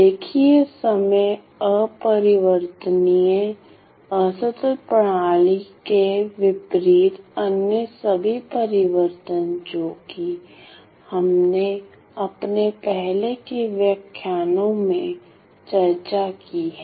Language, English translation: Hindi, So, linear time invariant discrete system as opposed to some of the other all the other transforms that we have seen in all our previous discussions in our earlier lectures